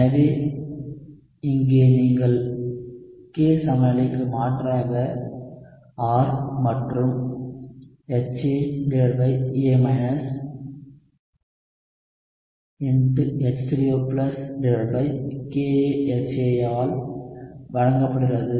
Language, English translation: Tamil, So here you can substitute for K equilibrium R and HA over A is given by H3O+ by KaHA